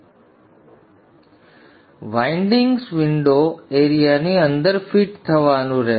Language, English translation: Gujarati, Now the windings will have to fit within the window area